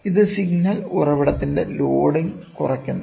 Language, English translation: Malayalam, This minimizes the loading of the signal source